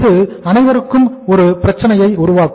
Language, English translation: Tamil, It will create a problem for all